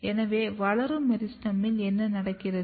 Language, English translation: Tamil, So, this is what happens in the meristem; growing meristem